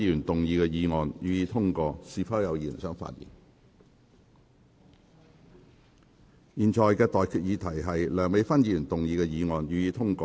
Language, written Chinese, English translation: Cantonese, 我現在向各位提出的待決議題是：梁美芬議員動議的議案，予以通過。, I now put the question to you and that is That the motion moved by Dr Priscilla LEUNG be passed